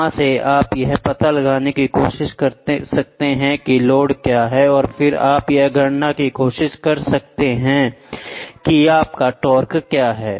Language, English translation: Hindi, From there, you can try to find out what is the load and then you can try to calculate what is your torque